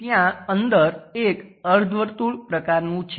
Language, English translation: Gujarati, Inside there is a semi circle kind of thing